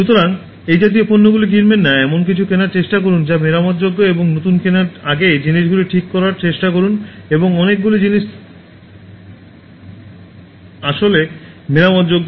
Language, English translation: Bengali, So, don’t buy such products try to buy something which are repairable and try to fix things before buying new ones and many things are actually repairable